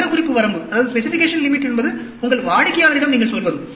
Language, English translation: Tamil, Specification limit is what you tell your customer